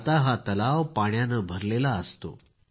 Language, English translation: Marathi, Now this lake remains filled with water